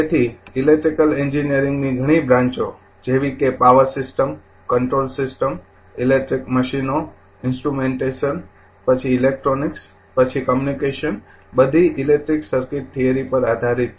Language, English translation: Gujarati, So, several branches in electrical engineering like power system, control system, electric machines, instrumentation, then electronics, then communication, all are based on your electric circuit theory right